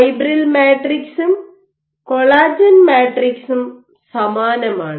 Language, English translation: Malayalam, So, by fibril matrices I mean aligned collagen matrices are similarly